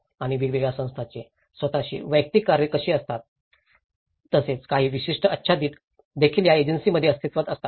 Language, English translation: Marathi, And how different bodies have their own individual tasks and as well as certain overlap is do existed within these agencies